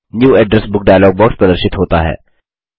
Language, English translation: Hindi, The New Address Book dialog box appears